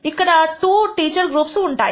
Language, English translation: Telugu, Here we have two groups of teachers